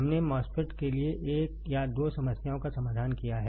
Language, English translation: Hindi, We have solved a one or two problems for the MOSFET